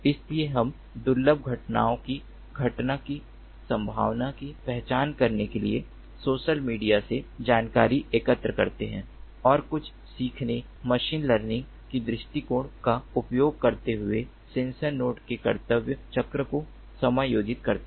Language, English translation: Hindi, so we accumulate information from the social media to identify the occurrence possibility of rare events and adjust the duty cycles of sensor nodes using some learning, machine learning approach again